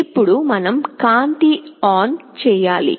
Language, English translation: Telugu, Now, we have to switch ON the light